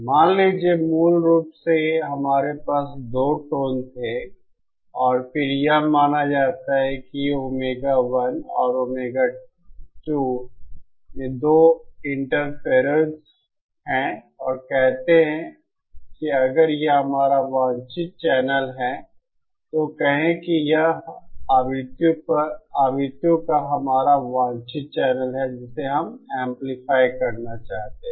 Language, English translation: Hindi, Suppose, originally we had our 2 tones and then this is supposed these are two interferers at omega one and omega 2 and say if this is our desired channels then say this is our desired channel of frequencies that we want to amplify